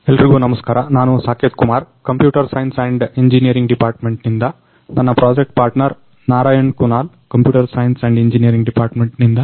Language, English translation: Kannada, Everyone I am Saketh Kumar from Computer Science and Engineering Department with my project partner Narayan Kunal from Computer Science and Engineering Department